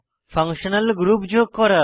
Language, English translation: Bengali, * Add functional groups